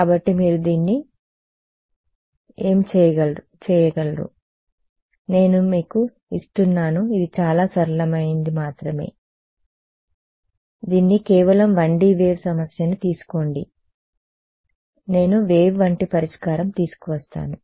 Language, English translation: Telugu, So, you can work it out I am just giving you it is very simple ones just put this out take a 1D wave problem put it in you will find that I still get a wave like solution ok